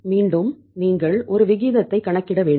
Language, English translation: Tamil, Again you have to say work out a ratio